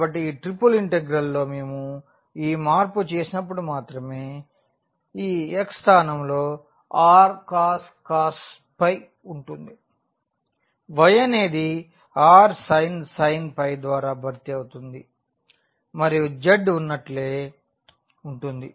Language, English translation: Telugu, So, the only change when we do this change in this triple integral this x will be replace by r cos phi, y will be replace by r sin phi and z will remain as it is